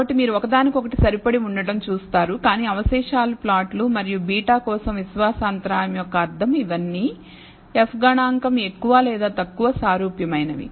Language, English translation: Telugu, So, you will see a one to one correspondence, but the residuals plot and interpretation of confidence interval for beta all of this, the F statistic more or less similar